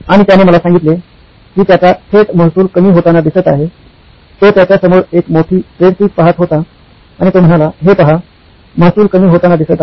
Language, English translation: Marathi, And he told me well, my direct revenue, he was looking at a big spreadsheet in front of him and he said look at this, the revenue seems to be dwindling